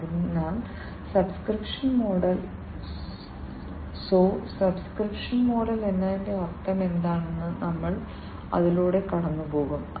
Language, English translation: Malayalam, So, we will go through it, you know what it means by the subscription model so subscription model